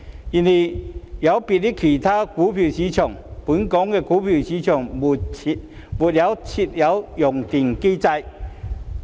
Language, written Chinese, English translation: Cantonese, 然而，有別於其他股票市場，本港股票市場未設有熔斷機制。, However unlike other stock markets Hong Kongs stock market does not have a circuit breaker mechanism in place